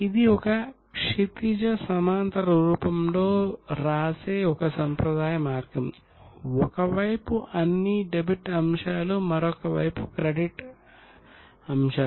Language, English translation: Telugu, This is a traditional way of writing it in a horizontal form on debit on one side and credit on one other side